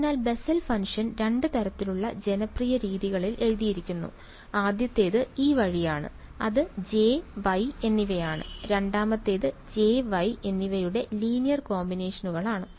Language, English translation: Malayalam, So, the Bessel’s functions are written in two sort of popular ways; first is this way which is J and Y, the second is linear combinations of J and Y